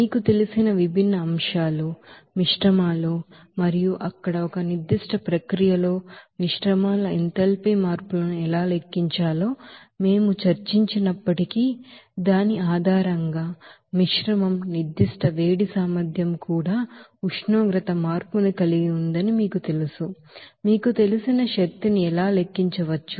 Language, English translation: Telugu, Though we have discussed different aspects of that you know, mixtures and also how to calculate the enthalpy changes of mixtures in a particular process there and based on that, you know mixture specific heat capacity has also that temperature change, how those energy you know can be calculated